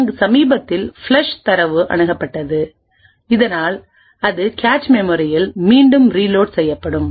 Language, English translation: Tamil, And then there is a reload mode where the recently flush data is accessed taken so that it is reloaded back into the cache